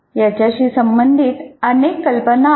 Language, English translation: Marathi, There are several ideas associated with this